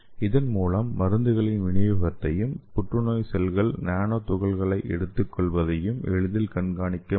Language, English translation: Tamil, So we can easily monitor the delivery of this drug as well as we can also monitor the nano particle uptake by the cancer cells